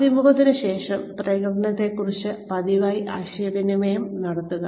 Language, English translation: Malayalam, After the interview, communicate frequently about performance